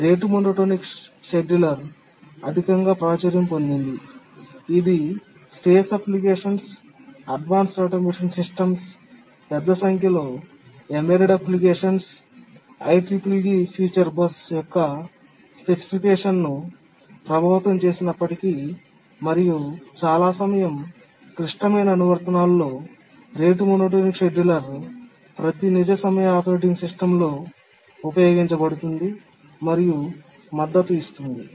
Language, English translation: Telugu, The rate monotermed scheduler is overwhelmingly popular, used in many, many applications, space applications, advanced automation systems, large number of embedded applications, even has influenced the specification of the ICC3PII future bus and in many time critical applications the rate monotonic scheduler is used and is supported in almost every operating, real time operating system